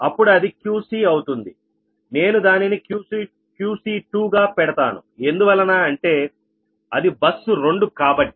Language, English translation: Telugu, then if you see that this is qc, it is qc, so i can put it is qc two because it is a bus two